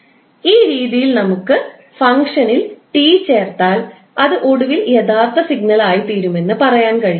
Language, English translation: Malayalam, So, in this way we can say if we add capital T in the function, it will eventually become the original signal